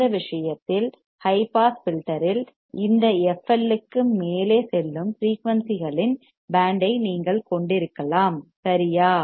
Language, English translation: Tamil, In this case in high pass filter, you can have a band of frequencies that will pass above this f L right